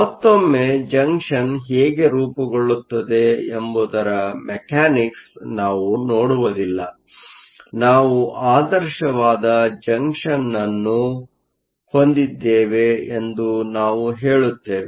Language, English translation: Kannada, Once again, we do not look into the mechanics of how the junction is formed; we just say that we have a junction that is ideal, which means there are no defects